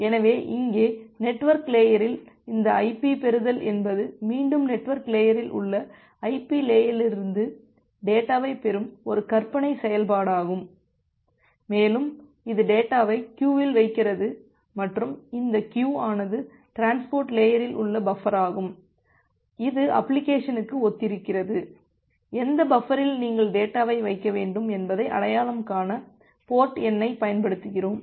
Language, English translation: Tamil, So, here at the network layer, this ip receive is again a hypothetical function that receive the data from the ip layer on the network layer, and it put the data into the queue and this queue is the buffer at the transport layer corresponds to an application, and we use port number to identify that in which buffer you need to put the data